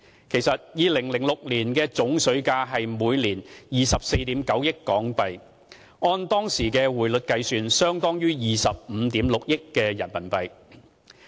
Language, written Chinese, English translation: Cantonese, 其實 ，2006 年的總水價是每年24億 9,000 萬港元。按當時匯率計算，相當於25億 6,000 萬元人民幣。, In fact the total water price in 2006 was HK2.49 billion per annum or approximately RMB2.56 billion based on the exchange rate at that time